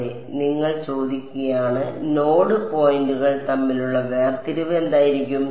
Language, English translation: Malayalam, Yeah you are saying you asking, what should be the separation between the node points